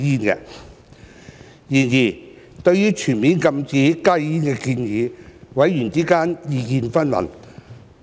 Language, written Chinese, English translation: Cantonese, 然而，對於全面禁止加熱煙的建議，委員之間意見紛紜。, However regarding the full ban of HTPs members views have been divergent